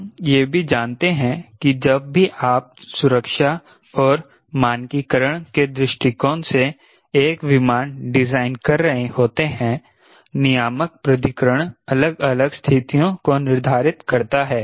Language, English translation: Hindi, we also know whenever you designing an aircraft from safety and standardization point of view, regulatory authority prescribes different conditions